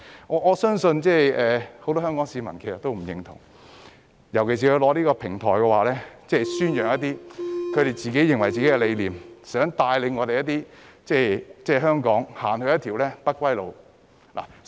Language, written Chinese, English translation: Cantonese, 我相信很多香港市民對此都不認同，尤其是他們利用這個平台宣揚自己的理念，想帶領香港踏上一條不歸路。, I believe many Hong Kong people do not agree with this especially when they use DCs as a platform to propagate their ideologies in an attempt to lead Hong Kong to a path of no return